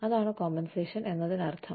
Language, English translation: Malayalam, That is what, compensation means